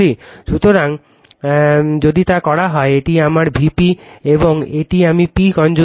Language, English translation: Bengali, So, if you do so, this is my V p, and this is I p conjugate right